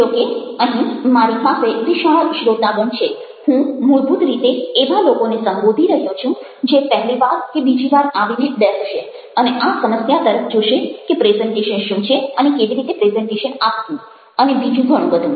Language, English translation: Gujarati, here i have a wide range of audience, but basically addressing people who might be coming for the first time or second time to sit down and look at, ah, this problem or what is a presentation, how to make a presentation and so on